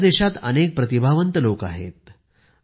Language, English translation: Marathi, Our country is full of talented people